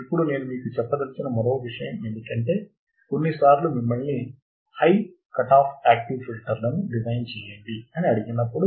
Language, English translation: Telugu, Now one more point I wanted to tell you is that when some sometimes you are asked that design high cutoff active filters